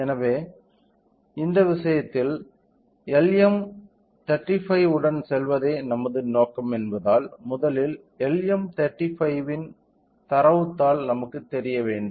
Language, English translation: Tamil, So, in this case since our intention was to go with LM35, first let us you know the data sheet of LM35